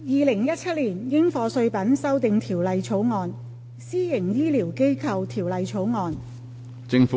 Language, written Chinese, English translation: Cantonese, 《2017年應課稅品條例草案》《私營醫療機構條例草案》。, Dutiable Commodities Amendment Bill 2017 Private Healthcare Facilities Bill